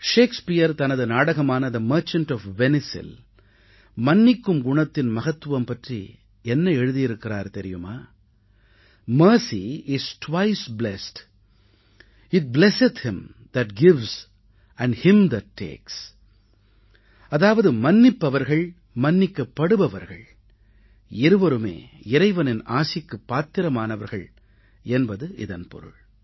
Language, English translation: Tamil, Shakespeare in his play, "The Merchant of Venice", while explaining the importance of forgiveness, has written, "Mercy is twice blest, It blesseth him that gives and him that takes," meaning, the forgiver and the forgiven both stand to receive divine blessing